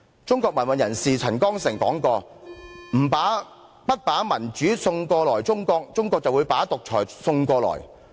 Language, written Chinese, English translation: Cantonese, 中國民運人士陳光誠曾說過："不把民主送過去中國，中國會把獨裁送過來。, Yet it should not be forced upon Hong Kong people in any case I suppose? . Chinese human rights activist CHEN Guangcheng once said China will bring you autocracy if you do not send her democracy